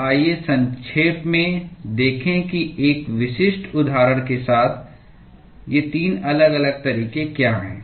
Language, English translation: Hindi, So, let us briefly look into what are these 3 different modes with a specific example